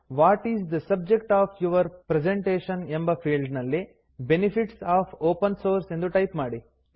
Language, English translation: Kannada, In the What is the subject of your presentation field, type Benefits of Open Source